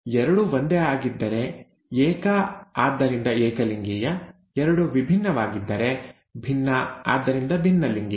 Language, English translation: Kannada, If both are the same, homo, so homozygous, if both are different, hetero, so heterozygous